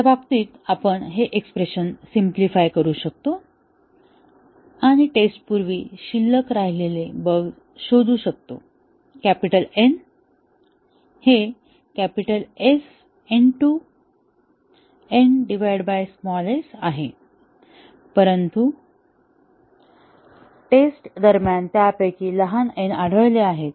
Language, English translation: Marathi, We can simplify this expression in that case and find the bugs that were remaining before testing; capital N is capital S n by s; but then, small n of them have got detected during testing